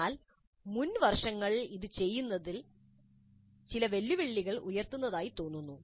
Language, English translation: Malayalam, But doing this in earlier years does seem to pose certain challenges